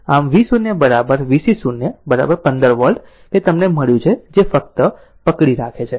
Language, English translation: Gujarati, So, V 0 is equal to V C 0 is equal to 15 volt that we have got it that just hold on